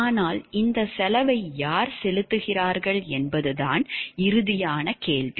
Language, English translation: Tamil, But ultimate question comes to is it who are paying for this cost